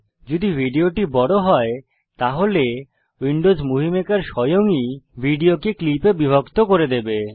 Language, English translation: Bengali, If the video is large, then Windows Movie Maker will automatically split the video into clips